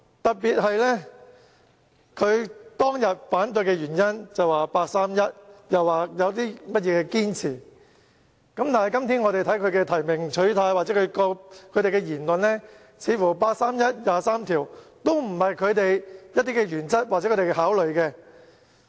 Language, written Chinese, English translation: Cantonese, 特別是當日反對的原因是八三一決定，又說有所堅持，但今天他們的提名取態或言論似乎表示，八三一決定和《基本法》第二十三條都不是他們的原則或考慮因素。, In particular they opposed the constitutional reform package at that time because of the 31 August Decision and they insisted on several principles . But today their position on nomination or their comments seemed to indicate that the 31 August Decision and Article 23 of the Basic Law are not their principles or factors for consideration